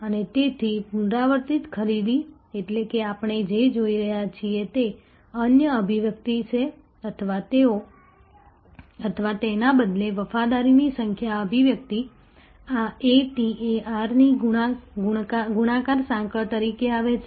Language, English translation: Gujarati, And therefore, the repeat purchase, which is, what we are looking at which is another manifestation or rather the number manifestation of a loyalty comes as a multiplicative chain of this A T A R